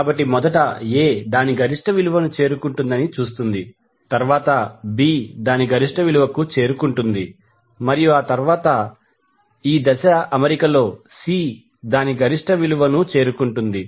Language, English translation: Telugu, So, will see first A will reach its peak value, then B will reach its peak value and then C will reach its peak value in the in this particular phase arrangement